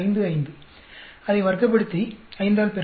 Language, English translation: Tamil, 55, square it up, multiply by 5